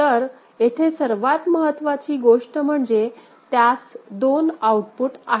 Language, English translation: Marathi, So, what is the other thing important here is that it has got 2 outputs ok